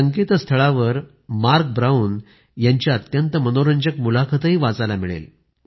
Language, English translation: Marathi, You can also find a very interesting interview of Marc Brown on this website